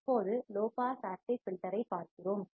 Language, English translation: Tamil, Now, we are looking at low pass active filter